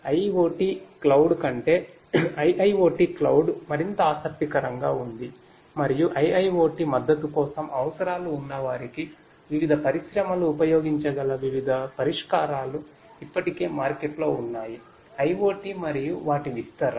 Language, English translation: Telugu, So, IIoT cloud rather than IoT cloud is more interesting and there are different; different solutions already in the market that could be used by different industries to who have requirements for support of IIoT; IoT and their deployment